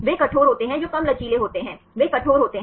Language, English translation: Hindi, They are rigid that is lower flexibility they are rigid